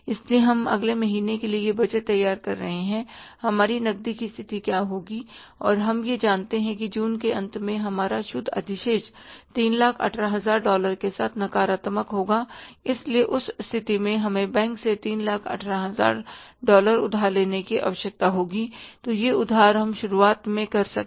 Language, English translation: Hindi, We are going to be the month of June next month that's why we are preparing this budget for the next month that what would be our cash position and we know it that at the end of the June our net balance will be negative to the tune of 318,000 dollars so in that case we will be required to borrow from the bank 318,000000 so that borrowing we will do in the beginning